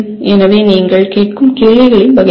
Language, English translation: Tamil, So that is the type of questions that you would ask